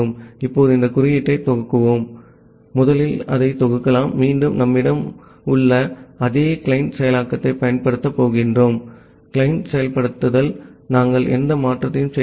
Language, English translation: Tamil, Now, let us run this code, first compile it, again we are going to use the same client implementation that we have, the client implementation we are not making any change